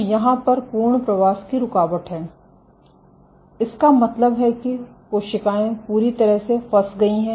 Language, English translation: Hindi, So, there is complete migration arrest mean that cells are completely stuck